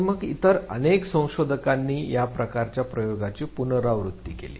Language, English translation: Marathi, And then several other researchers repeated this type of experiment